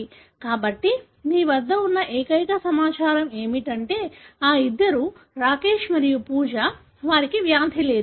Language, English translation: Telugu, So, the only information that you have is that, these two, Rakesh and Pooja, they don’t have the disease